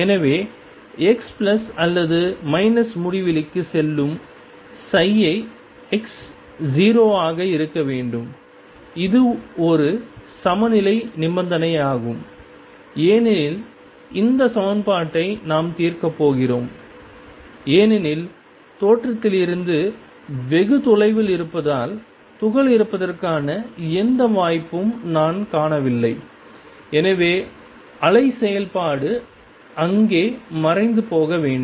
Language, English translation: Tamil, So, psi x as x goes to plus or minus infinity should be 0 that is a boundary condition we are going to solve this equation with because far away from the origin is hardly any chance that I will find the particle and therefore, the wave function must vanish there